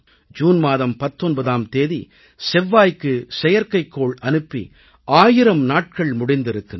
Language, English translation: Tamil, On the 19th of June, our Mars Mission completed one thousand days